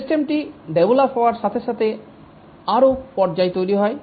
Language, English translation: Bengali, As the system develops, more and more phases are created